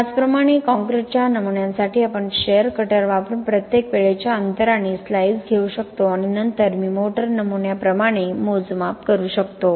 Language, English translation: Marathi, So similarly for concrete specimens we can take slices at each time interval using share cutters and then do the measurements as I did for motor specimens